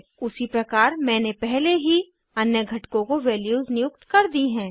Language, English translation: Hindi, I have already assigned values to other components in the similar way